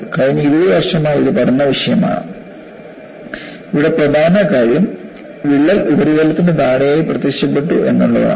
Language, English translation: Malayalam, And this has been the topic of study for the last 20 years, and the important aspect here is, crack has appeared below the surface